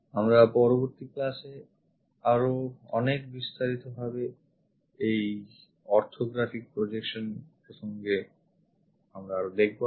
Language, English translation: Bengali, Many more details about this orthographic projections we will see it in the next class